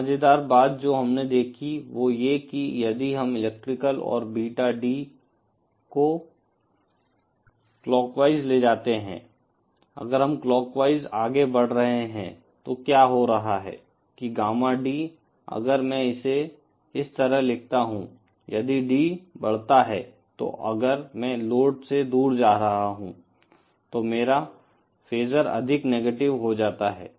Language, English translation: Hindi, An interesting thing that we note is that if suppose we travel electrical and Beta D in clockwise direction, if we are moving in the clockwise direction, then what is happening is that Gamma D, if I write it like thisÉ If D increases, that is if I am moving away from the load, then my phasor becomes more negative